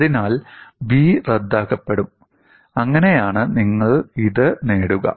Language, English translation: Malayalam, So, the b will get cancelled, and that is how you will get it